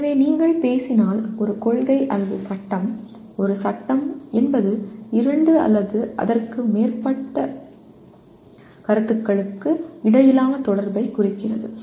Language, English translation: Tamil, So a principle or a law if you talk about, a law is nothing but represents interrelationship between two or more concepts